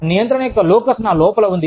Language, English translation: Telugu, The locus of control, lies inside me